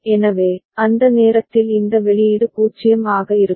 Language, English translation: Tamil, So, at that time this output will be 0